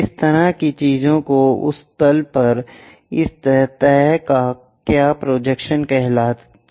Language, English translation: Hindi, This kind of thing is called what projection of this surface on to that plane